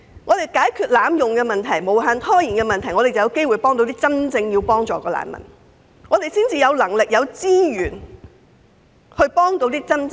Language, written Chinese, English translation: Cantonese, 只有解決濫用機制及無限拖延的問題，才有機會幫助真正需要協助的難民，才有能力及資源為他們提供支援。, Only by addressing the problems of abuse of the mechanisms and indefinite delays will we have the opportunity to help refugees genuinely in need and have the ability and resources to support them